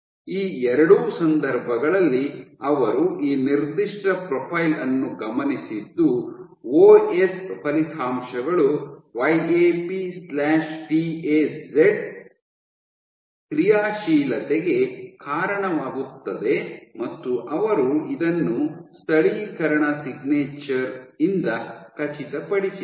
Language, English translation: Kannada, In both these cases they observed this particular profile suggesting that, they suggest that OS results in YAP/TAZ activation and they also confirm this by the localization signature